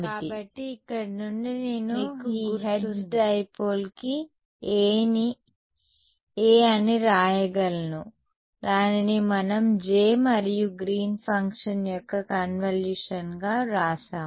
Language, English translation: Telugu, So, from here I can write down A for this Hertz dipole, it is going to be we have written it as the convolution of J and G 3D